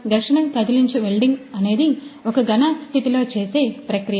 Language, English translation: Telugu, So, friction stir welding is a solid state joining process